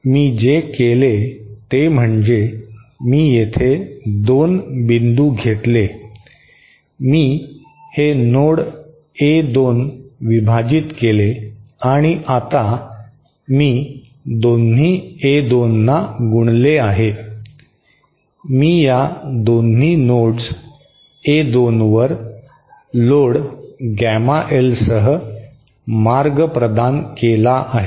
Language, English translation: Marathi, So, what I did was I took 2 points, I split this node A2 and I have now multiplied both the A2s withÉ I have provided a path with magnitude with weight gamma L to both these nodes A2